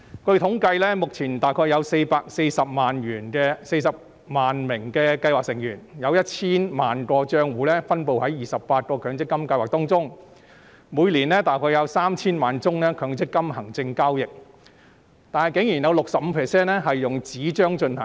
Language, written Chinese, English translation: Cantonese, 據統計，目前約有440萬名計劃成員、約 1,000 萬個帳戶分布在28個強積金計劃當中，每年約有 3,000 萬宗強積金行政交易，當中以紙張進行的佔 65%。, According to the statistics there are currently about 4.4 million scheme members with about 10 million accounts in 28 MPF schemes . Among the around 30 million MPF administration transactions per year 65 % are paper - based